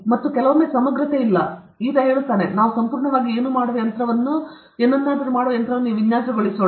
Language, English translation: Kannada, And, sometimes, integrity is not there this fellow says, let us design a machine that does absolutely nothing